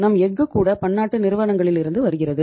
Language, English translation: Tamil, Our even steel is coming from multinational companies